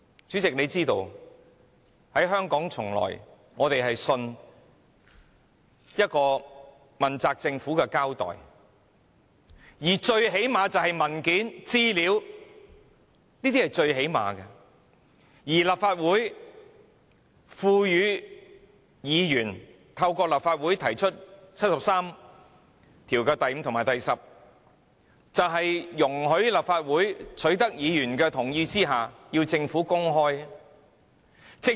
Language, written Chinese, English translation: Cantonese, 主席想必也知道，香港市民一直相信問責政府會交代，最低限度也會提供文件，這已是最低限度的要求，而議員透過《甚本法》第七十三條第五項及第七十三條十項動議議案，就是要容許立法會在取得議員的同意後，要求政府公開資料。, The President may also be aware that Hong Kong people have always believed that the Government will be accountable or at least it will produce the relevant documents which are the minimum requirements . The Members motion moved under Articles 735 and 7310 of the Basic Law would allow the Legislative Council to request after obtaining Members consent the Government to disclose information